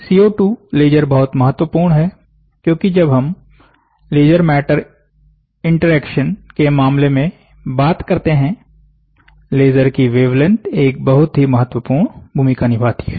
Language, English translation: Hindi, CO2 laser is very important, because the wavelength of the laser plays a very important role when we, when we look into laser matter interaction